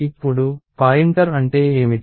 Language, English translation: Telugu, Now, what is a pointer